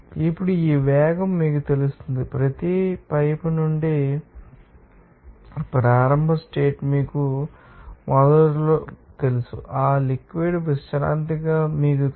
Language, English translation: Telugu, Now, these velocity will be you know that through the, you know, pipe from each, you know initial condition initially that fluid was, you know, at rest